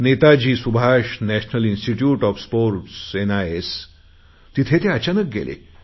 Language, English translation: Marathi, You must be aware of the Netaji Subhash National Institute of Sports N